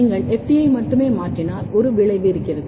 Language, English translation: Tamil, If you only mutate FT, there is a effect